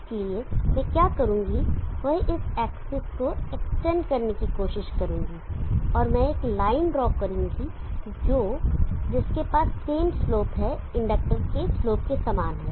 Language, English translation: Hindi, So what I will do is try to extent this access and let me draw a line which is having this same slope as the following slope of the inductor